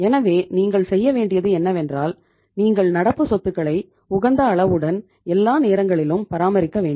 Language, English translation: Tamil, So what you have to do is that you have to maintain the optimum level of current assets all the times